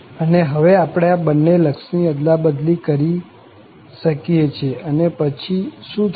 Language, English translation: Gujarati, And now, we can interchange these two limits and what will happen